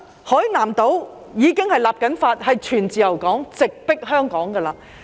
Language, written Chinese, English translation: Cantonese, 海南島正在立法，要成為全自由港，直迫香港。, Hainan is now enacting legislation in a bid to turn itself into a full free port comparable to Hong Kong